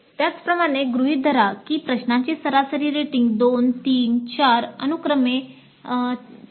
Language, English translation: Marathi, Now similarly assume that the average rating for questions 2, 3, 3 and 4 are just sample values 4